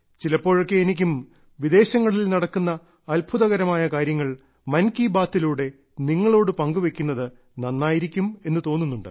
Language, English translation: Malayalam, And I also like to sometimes share with you the unique programs that are going on abroad in 'Mann Ki Baat'